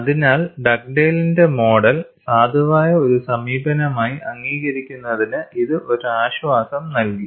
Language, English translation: Malayalam, So, this provided a comfort in accepting Dugdale’s model as a valid approach